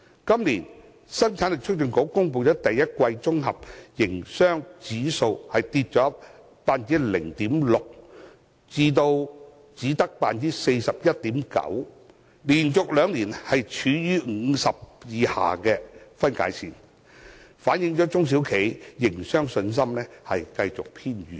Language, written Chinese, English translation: Cantonese, 今年，香港生產力促進局公布的第一季綜合營商指數下跌 0.6% 至 41.9， 連續兩年處於50分界線以下，反映中小企的營商信心持續偏軟。, This year the Hong Kong Productivity Council announced a drop of 0.6 % of the Hong Kong SME Leading Business Index to 41.9 for the first quarter of 2017 . The index has remained below the 50 threshold for two years showing a prevailing fragile confidence among SMEs on their business